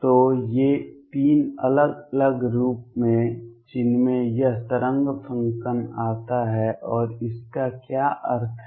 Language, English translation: Hindi, So, these are three different forms that this wave function comes in, and what does it mean